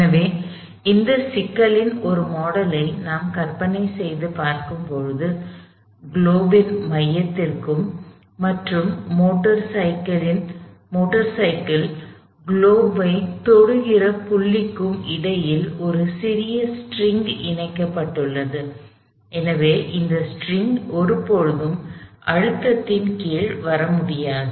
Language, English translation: Tamil, So, a model of this problem is where we imagine a little string tied between the center of the globe and the point, where the motor cycle is touching the globe and so that string if you will can never come under compression